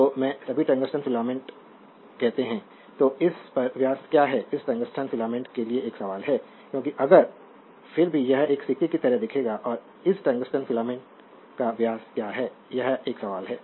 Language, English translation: Hindi, So, they have all the filaments tungsten filaments say so, a question to what is the diameter on this, your this tungsten filament because if you see then you will find it is look like a coin right and what is that your diameter of this tungsten filament this is a question to you